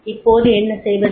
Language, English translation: Tamil, Now what to do